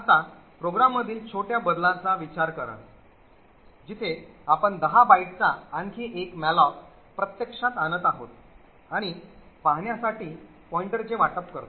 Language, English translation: Marathi, Now consider the small change in the program where we actually invoke another malloc of 10 bytes and allocate the pointer to see